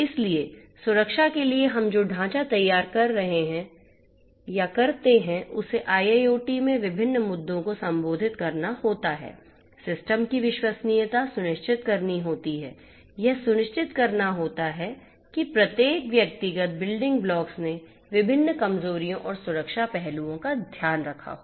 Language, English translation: Hindi, So, the framework that we come up with for security has to address different issues in IIoT, has to ensure trustworthiness of the system, has to ensure that each of the individual building blocks have taken care of the different vulnerabilities and the security aspects